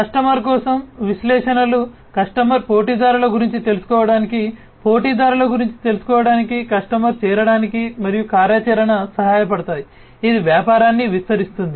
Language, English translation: Telugu, For a customer, analytics will help the customer to learn about competitors, learn about competitors, help the customer to join and activity, which expands business